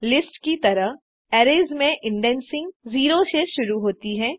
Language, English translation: Hindi, Like lists, indexing starts from 0 in arrays,